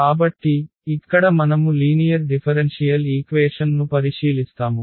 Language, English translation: Telugu, So, here we consider the linear differential equations